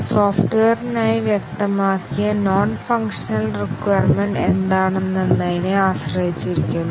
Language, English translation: Malayalam, It depends on what are the non functional requirements specified for the software